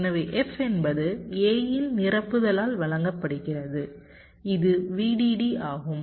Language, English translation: Tamil, so f is given by the complement of a and this is v dd